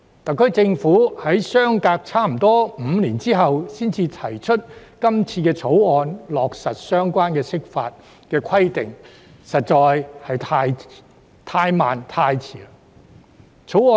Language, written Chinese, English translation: Cantonese, 特區政府在相隔近5年後才提出這項《條例草案》，並落實相關的釋法規定，實在是太慢和太遲。, It is indeed too slow and too late for the SAR Government to propose this Bill and implement the relevant interpretations after almost five years